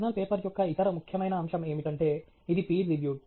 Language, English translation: Telugu, The other important aspect of a journal paper is that it is peer reviewed